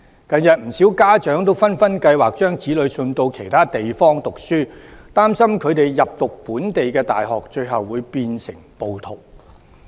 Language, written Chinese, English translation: Cantonese, 近日不少家長紛紛計劃把子女送到其他地方讀書，擔心他們入讀本地大學，最終會變成暴徒。, Parents are planning to send their children abroad to study . They are concerned that their children may end up being a rioter if they study in local universities